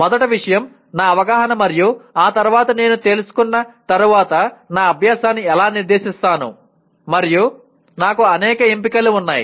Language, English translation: Telugu, First thing my awareness and after that how do I direct my learning once I am aware of and I have several choices